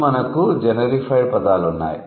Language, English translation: Telugu, Then we have generified words